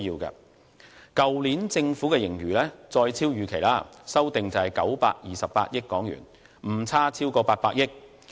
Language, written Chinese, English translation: Cantonese, 去年政府的盈餘再遠超預期，修訂為928億元，誤差超過800億元。, The fiscal reserves of last year is adjusted to 92.8 billion again far exceeded the Governments expectation with over 80 billion of inaccuracy